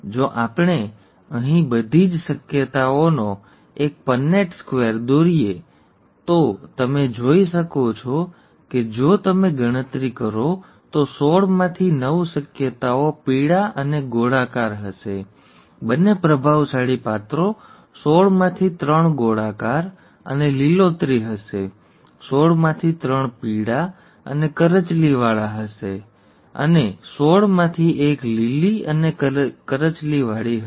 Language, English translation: Gujarati, If we draw a Punnett Square here of all the possibilities, you can see if you count, that nine out of the sixteen possibilities would be yellow and round, both dominant characters; three out of sixteen would be round and green; three out of sixteen would be yellow and wrinkled and one out of sixteen would be green and wrinkled